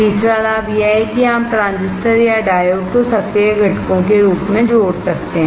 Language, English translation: Hindi, Third advantage is that you can diffuse the transistor or diodes as the active components